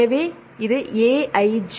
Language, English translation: Tamil, So, this is Aij